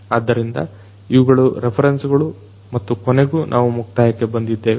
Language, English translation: Kannada, So, these are these references and finally, we come to an end